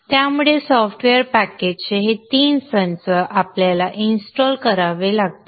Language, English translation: Marathi, So these three set of software packages we need to install